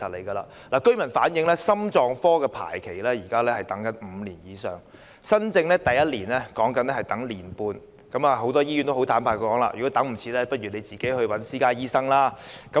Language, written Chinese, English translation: Cantonese, 居民反映現時心臟科的排期為5年以上，新症的第一次排期是1年半，很多醫院坦白表示，如果急不及待便要自行看私家醫生。, Residents have said that the current waiting time for cardiology services exceeds five years and that for first appointments is one and a half years . Many hospitals have put it straight that if the patients cannot wait they should see private doctors